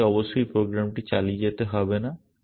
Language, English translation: Bengali, You do not have to keep running the program essentially